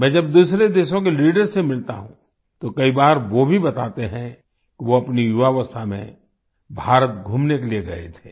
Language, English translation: Hindi, When I meet leaders of other countries, many a time they also tell me that they had gone to visit India in their youth